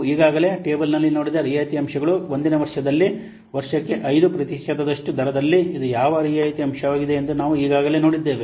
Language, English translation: Kannada, The table we have already seen that the discount factors we have already seen for year at the rate of 5% at the year 1